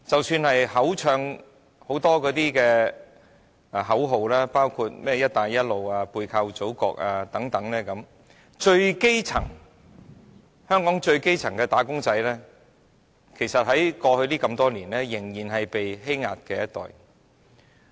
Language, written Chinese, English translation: Cantonese, 雖然叫喊了很多口號，包括甚麼"一帶一路"、"背靠祖國"等，香港最基層的"打工仔"，過去多年來其實仍然是被欺壓的一群。, Although many slogans including the so - called Belt and Road Initiative and leveraging the Motherland have been thrown around throughout the years grass - roots wage earners in Hong Kong have remained the most exploited and oppressed group